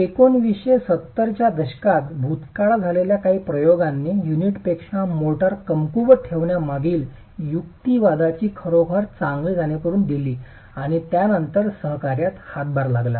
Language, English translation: Marathi, A few experiments done in the past in the 1970s actually gave a good understanding of the rational behind keeping motor weaker than the unit and then contributing to the coaction itself